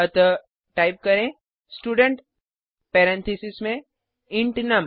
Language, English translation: Hindi, So type Student within parentheses int num